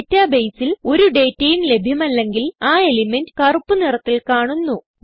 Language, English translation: Malayalam, If no data is available in the database, the element will have a black background